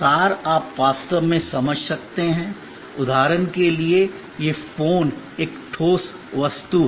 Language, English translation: Hindi, Abstractness you can really understand there is for example, this phone is an concrete object